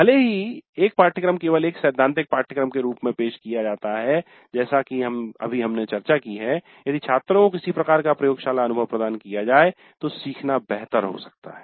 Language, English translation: Hindi, And even if a course is offered only as a theory course as just now we discussed, learning may be better if some kind of laboratory experience is provided to the students